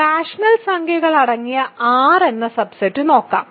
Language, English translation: Malayalam, Let us look at the subset R consisting of rational numbers